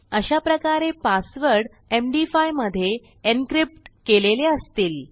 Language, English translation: Marathi, So, here we will have our md5 encrypted passwords